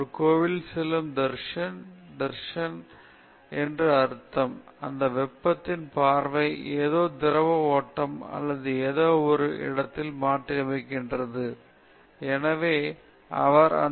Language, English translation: Tamil, Dharshan which is, say, in a temple; dharshan means you have that vision; the vision of that heat transferring something fluid flow or something, you have a complete idea of what that